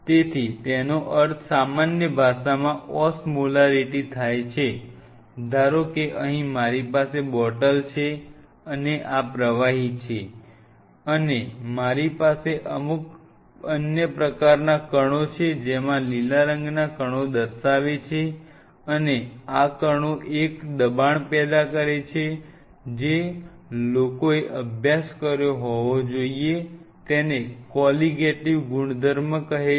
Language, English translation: Gujarati, So, Osmolarity in a layman language; that means, suppose here I have a bottle and this is fluid, and I has certain other kind of particles in it the green ones are showing the particles, and these particles generates a pressure which is part of something guys must have studied called Colligative properties of material